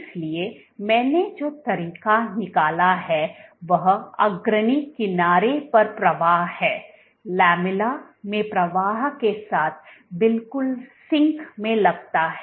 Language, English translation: Hindi, So, the way I have drawn is the flow at the leading edge seems to be exactly in sync with the flow at the lamella